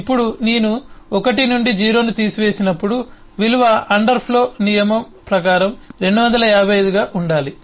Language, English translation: Telugu, now when I subtract 1 from 0, the value should become 255 by the underflow rule